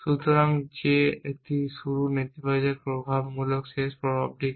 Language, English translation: Bengali, So, that is a starts negative effect essentially what are the end effects